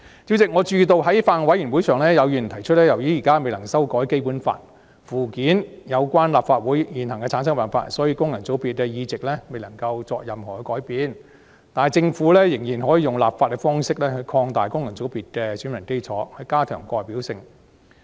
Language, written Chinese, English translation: Cantonese, 主席，我注意到在法案委員會的會議上，有議員提出由於現時未能修改《基本法》附件有關立法會的現行產生辦法，所以功能界別的議席未能有任何改變，但政府仍可以立法方式擴大功能界別的選民基礎，以加強代表性。, President I notice that at a meeting of the Bills Committee some Members have stated that no changes can be made to FC seats as the existing method for forming the Legislative Council as prescribed in the Annex to the Basic Law cannot be amended at present . But the Government can still broaden the electorate of FCs by way of legislation to enhance representativeness